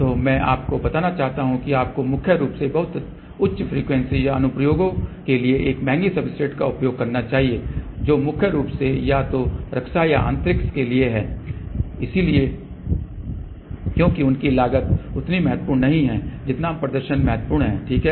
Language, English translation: Hindi, So, I just want to tell you you know you should use a expensive substrate mainly for applications at very high frequency or applications which are mainly for either defense or space because their cost is not that much important as much as performance is important, ok